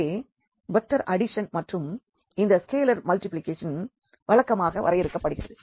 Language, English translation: Tamil, So, here the vector addition and this is scalar multiplication is defined as usual